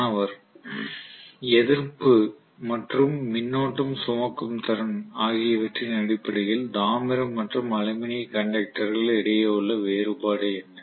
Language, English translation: Tamil, What is the difference between copper and aluminium conduction in terms of resistance and current carrying capacity